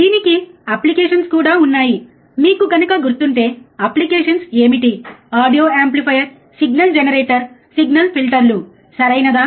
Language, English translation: Telugu, It finds application again if you remember what are the application, audio amplifier signal generator signal filters, right